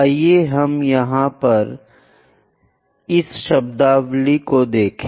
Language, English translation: Hindi, Let us here look at this terminology